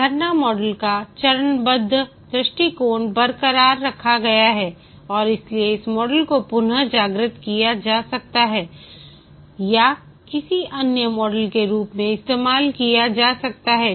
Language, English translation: Hindi, The step wise approach of the waterfall model is retained and therefore this model can be degenerated or can be used as any other model